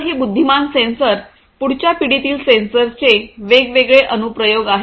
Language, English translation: Marathi, So, there are different applications of next generation sensors these intelligent sensors